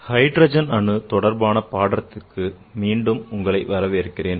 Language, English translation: Tamil, Welcome back to the lectures on the hydrogen atom